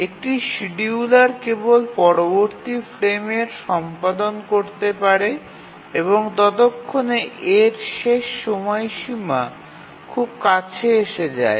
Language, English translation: Bengali, The scheduler can only take up its execution in the next frame but then by that time its deadline is very near